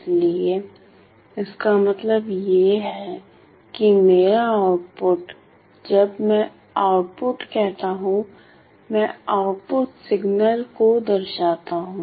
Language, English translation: Hindi, So, which means that my output my output is my output when I say output, I denote the output signal